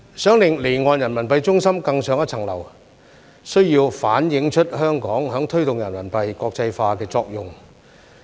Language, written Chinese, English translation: Cantonese, 想令離岸人民幣中心更上一層樓，需要反映出香港在推動人民幣國際化的作用。, To take its status as an offshore RMB centre to new heights we need to highlight Hong Kongs role in promoting RMB internationalization